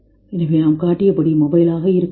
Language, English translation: Tamil, So we can be as mobile has shown